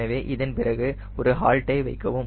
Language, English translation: Tamil, so after this, keep a holt